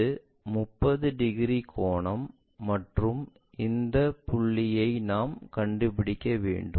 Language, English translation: Tamil, This is the 30 degrees angle and we have to locate this point